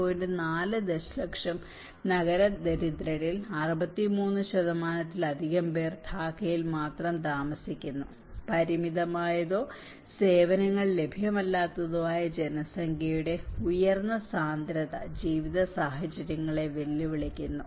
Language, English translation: Malayalam, 4 million urban poor living in cities more than 63% live in Dhaka alone, high density of population with limited or no access to services make living conditions challenging